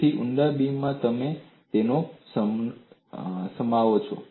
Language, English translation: Gujarati, So, in deep beams, you accommodate that